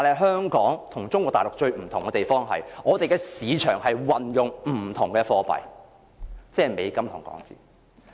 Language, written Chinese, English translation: Cantonese, 香港與中國大陸最不同之處，在於我們的市場運用不同的貨幣，即是美金與港元。, The biggest difference between Hong Kong and Mainland China is to be found in our markets where different currencies namely the US dollar and Hong Kong dollar are used